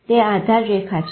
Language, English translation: Gujarati, That is the baseline